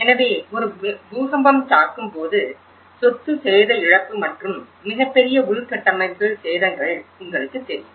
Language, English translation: Tamil, So, when an earthquake hits, loss of property damage and you know huge infrastructure damage that is what one can witness